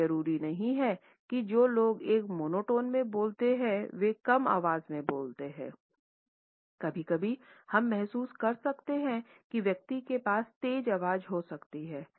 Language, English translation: Hindi, It is not necessary that people who speak in a monotone speak in a low pitched voice, sometimes we may feel that the person may have a booming voice and still may end up speaking in a monotone